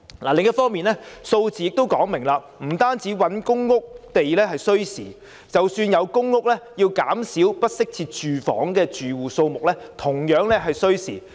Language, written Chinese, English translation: Cantonese, 另一方面，數字亦說明，不單覓地興建公共房屋需時，即使有公屋，要減少不適切住房的住戶數目同樣需時。, On the other hand the figures also indicated that it is not only true that building public rental housing PRH takes time but even when PRH units are provided reducing the number of households living in inadequate housing conditions also takes time